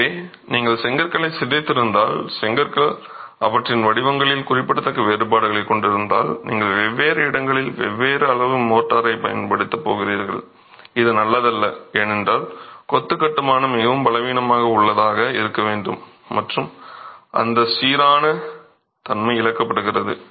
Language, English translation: Tamil, If you have warped bricks, if bricks have significant differences in their shapes, you are going to be using different quantities of motor in different locations which is not good because more the motor weaker is the masonry construction going to be and that uniformity is lost